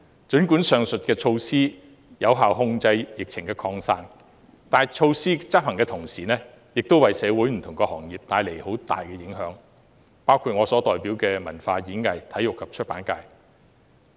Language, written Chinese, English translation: Cantonese, 儘管上述措施能有效控制疫情的擴散，但措施的執行為社會不同行業帶來很大的影響，包括我所代表的體育、演藝、文化及出版界。, Although the above mentioned measures can effectively control the spreading of the outbreak their implementation did significantly impact various industries including the Sports Performing Arts Culture and Publication constituency that I represent